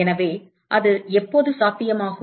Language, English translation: Tamil, So, when is that possible